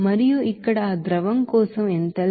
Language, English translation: Telugu, And here enthalpy for that liquid is 22